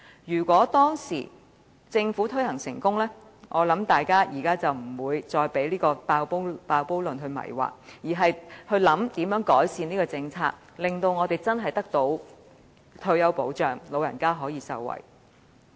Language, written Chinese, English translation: Cantonese, 如果當年政府推行成功，我相信大家便不會被"爆煲論"迷惑，而會研究如何改善這項政策，令我們真正得到退休保障，長者可以受惠。, If the Government had succeeded in introducing OPS then people would not be confused by the cost overrun proposition . Instead we would be exploring ways to improve the policy so that we could really have retirement protection and the elderly people could benefit from it